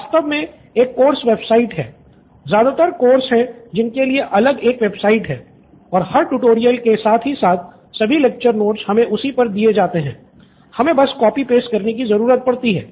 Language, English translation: Hindi, Actually there’s a course website, every course, most of the course have a website and every tutorial side by side, all the lecture notes are given on that, so mostly we need to copy just the jest of it